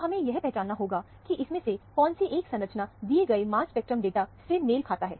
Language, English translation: Hindi, So, we have to now identify, which one of these structure actually corresponds to the mass spectral data that is given here